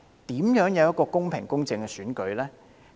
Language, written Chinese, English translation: Cantonese, 這怎會是一個公平、公正的選舉呢？, How would it be a fair and just election?